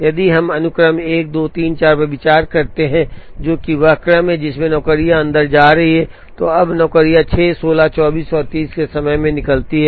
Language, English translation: Hindi, So, if we consider the sequence 1 2 3 4, which is the order, in which the jobs are going inside, now the jobs come out at time 6, 16, 24 and 30